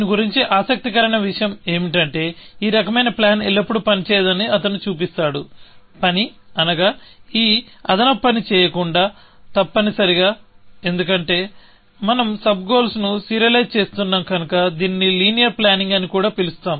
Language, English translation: Telugu, The interesting thing about this is that he shows that, this kind of planning will not always work; well, work in the sense, without doing this extra work, essentially; because we are serializing the sub goals, we also call this as linear planning